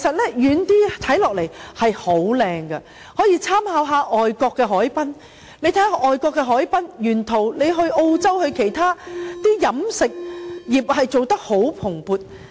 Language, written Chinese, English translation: Cantonese, 政府可以參考外國的海濱，且看看外國的海濱沿途，例如澳洲或其他地方的飲食業經營得相當蓬勃。, The Government can draw reference from waterfronts in foreign places and study what they have set up along the waterfronts . For example the catering industry has proliferated along the waterfront in Australia or other places